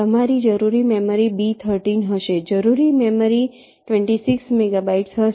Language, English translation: Gujarati, memory required will be twenty six megabytes